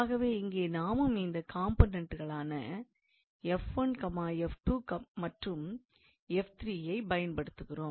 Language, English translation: Tamil, And here we also use the same components f 1, f 2, f 3